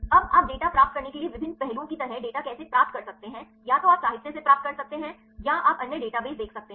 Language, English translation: Hindi, Now, how can you get the data like the various aspects to get the data either you can get from literature or you can see other databases